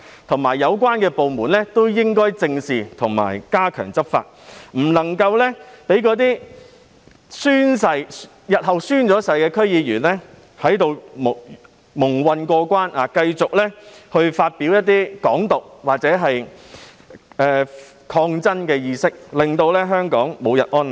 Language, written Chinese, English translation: Cantonese, 同時，有關部門亦應該正視及加強執法，不能夠讓那些日後完成宣誓的區議員在此蒙混過關，繼續宣揚"港獨"或抗爭的意識，令香港無日安寧。, The relevant departments should also squarely address the issue and step up law enforcement so as to prevent those DC members who are going to complete their oath - taking procedures from muddling through and continuing to promote Hong Kong independence or the awareness of resistance . In that case Hong Kong will never see a day of peace